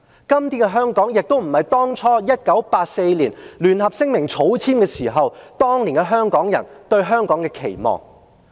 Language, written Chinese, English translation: Cantonese, 今天的香港亦不是當初1984年草簽《中英聯合聲明》時，當年香港人對香港有期望的香港。, Todays Hong Kong is also not the Hong Kong which was eagerly looked forward to by Hong Kong people when the Sino - British Joint Declaration was signed in 1984 . Todays Hong Kong has been brought about by this group of officials and the royalists